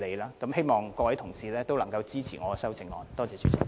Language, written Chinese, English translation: Cantonese, 最後，我希望各位同事都支持我的修正案。, Finally I hope that Honourable colleagues will support my amendment